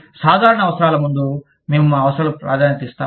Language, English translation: Telugu, So, we tend to prioritize our needs, ahead of the common needs